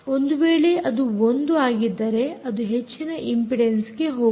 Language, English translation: Kannada, if it is one, let us say it goes into high impedance